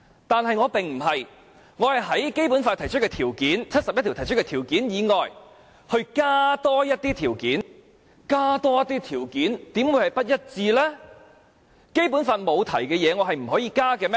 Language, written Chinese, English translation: Cantonese, 但是，我不是這樣，我是在《基本法》第七十一條提出的條件以外，多加一些條件；而多加一些條件，怎會是與《基本法》不一致呢？, I proposed to add one requirement on top of the requirements under Article 71 of the Basic Law; how can this be inconsistent with the Basic Law by adding one more requirement?